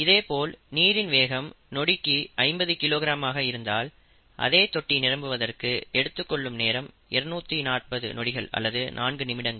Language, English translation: Tamil, If the input rate is fifty kilogram per second, the input, the time would be 240 seconds to fill he tank, or four minutes, okay